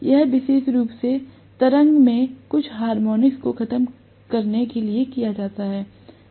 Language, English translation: Hindi, This is done specifically to eliminate some of the harmonics in the waveform